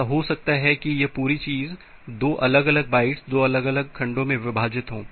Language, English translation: Hindi, It may happen that this entire thing is divided into 2 different bytes 2 different segments